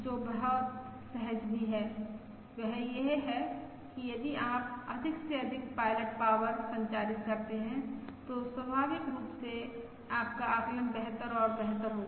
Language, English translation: Hindi, that is, if you transmit more and more pilot power, naturally your estimate will be better and better